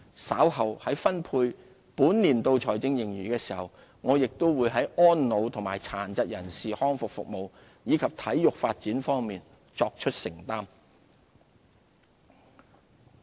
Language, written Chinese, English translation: Cantonese, 稍後在分配本年度財政盈餘的時候，我亦會在安老和殘疾人士康復服務，以及體育發展方面，作出承擔。, I will make provisions for elderly services and rehabilitation services for persons with disabilities as well as sports development when determining the use of surplus for this financial year